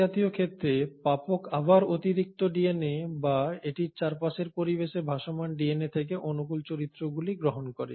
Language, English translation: Bengali, Now, in such a case the recipient again ends up receiving favourable characters from the extra DNA or rather the DNA which is floating around in its environment